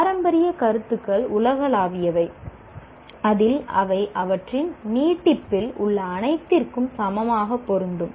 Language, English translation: Tamil, And the classical concepts are universal in that they apply equally to everything in their extension